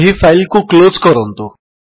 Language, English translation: Odia, Now lets close this file